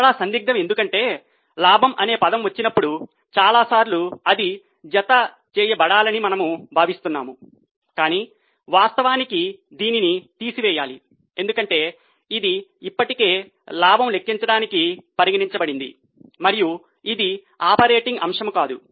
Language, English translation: Telugu, Again a point of confusion because many times when the word profit comes we feel it should be added but in reality it should be deducted because it has already been considered for calculation of profit and it is not an operating item